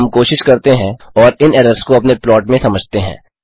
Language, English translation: Hindi, Now we shall try and take these errors into account in our plots